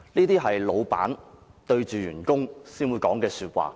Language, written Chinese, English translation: Cantonese, "只有老闆才會對員工說這些話。, Only a boss will say such words to his employees